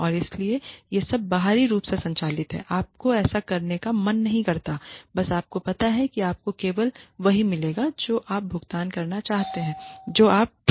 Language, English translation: Hindi, And so, it is all externally driven you do not feel like doing it you just know that you will get only what you get paid for not what you want to do ok